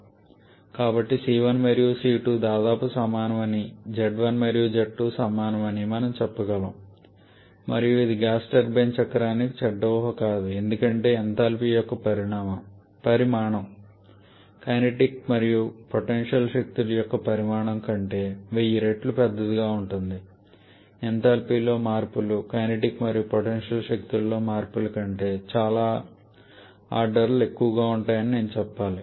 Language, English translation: Telugu, So, we can almost say that C 1 and C 2 are nearly equal z 1 and z 2 and equal and this at least for gas turbine cycle there is not a bad assumptions because the magnitude of enthalpy can be 1000 times larger than a magnitude of kinetic and potential energy or I should say the changes in enthalpy can be several orders higher than the changes in kinetic and potential energies